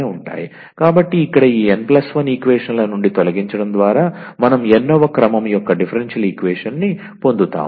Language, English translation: Telugu, So, here by eliminating this from this n plus 1 equations we will obtain a differential equation of nth order